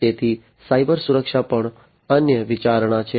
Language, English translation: Gujarati, So, cyber security is also another consideration